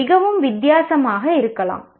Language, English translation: Tamil, It can be quite different